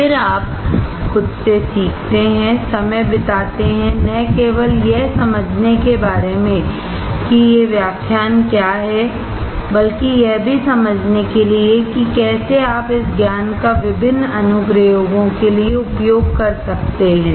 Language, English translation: Hindi, Then you learn by yourself, spend time, not only about understanding what these lectures are all about, but also to understand how well you can utilize this knowledge for different applications